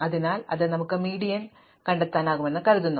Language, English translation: Malayalam, So, supposing we can find the median